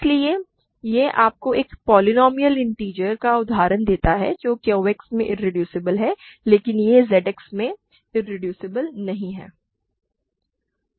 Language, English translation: Hindi, So, this gives you an example of a polynomial integer polynomial which is irreducible in Q X, but it is not irreducible in Z X